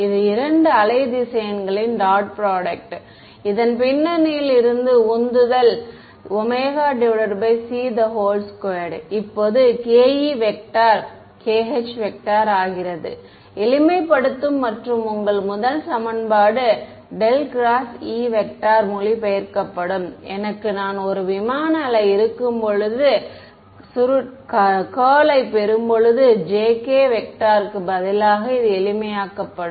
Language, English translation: Tamil, The dot product of these two wave vectors right so, that was the motivation behind this so, omega by c whole squared now becomes k e dot k h, just the simplification right and your first equation that I had the curl of e, this gets translated into remember when I have a plane wave the curl gets replaced by j k vector right we have seen this a simplification